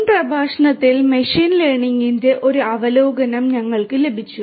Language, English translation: Malayalam, In the previous lecture, we got an overview of machine learning